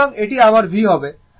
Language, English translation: Bengali, So, it will be my v, right